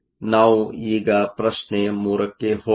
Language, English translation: Kannada, So, let us now move to question 3